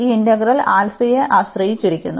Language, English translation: Malayalam, This integral depends on alpha